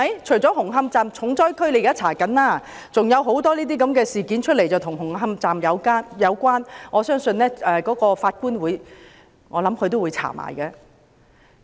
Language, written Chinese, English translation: Cantonese, 除了紅磡站重災區政府正在調查外，還有很多事件與紅磡站有關，我相信法官會一併調查。, The Government is inquiring into the hard - hit Hung Hom Station to which many other incidents are related . I believe the Judge will inquire into them altogether